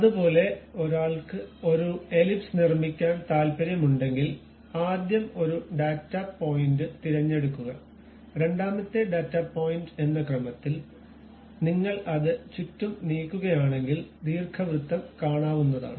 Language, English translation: Malayalam, Similarly, if one is interested in constructing an ellipse first one data point one has to pick, second data point, then if you are moving it around you will see the ellipse